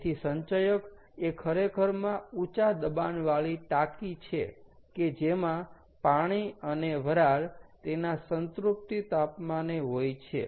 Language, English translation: Gujarati, ok, so that is what the accumulator actually are: high pressure tanks, which consists of water and steam at the saturation temperature